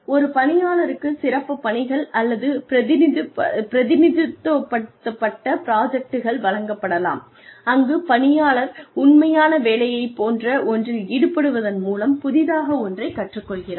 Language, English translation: Tamil, Special assignments or representative projects, can be given to an employee, where the employee learns something new, by engaging in something similar, not the actual job